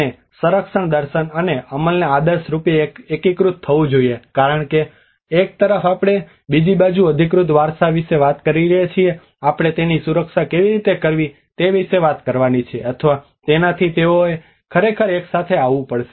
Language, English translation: Gujarati, And conservation philosophy and execution should ideally converge because on one side we are talking about the authentic heritage on the other side we have to talk about how to protect it or so they has to really come together